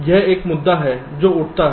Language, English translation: Hindi, so there is one issue that arises here